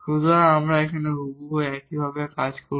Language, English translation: Bengali, So, we will deal exactly in a similar fashion